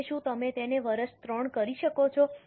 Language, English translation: Gujarati, Now, can you do it for year 3